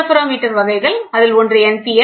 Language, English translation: Tamil, The first interferometer what we saw